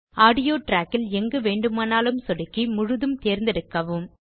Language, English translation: Tamil, Now select the whole audio track by clicking anywhere on it